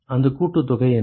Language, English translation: Tamil, What is that summation